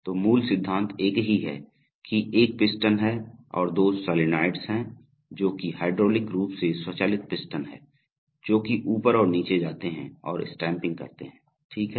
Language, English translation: Hindi, So basic principle is the same, that there is a piston which and there are two solenoids hydraulically driven piston which goes up and down and makes stampings, okay